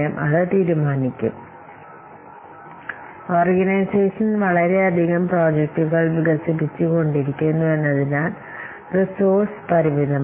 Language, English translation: Malayalam, So, since the organization or this project development developing organization is developing so many projects, but the resources are limited